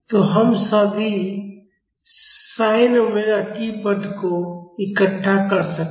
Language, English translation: Hindi, So, we can collect all the sin omega t terms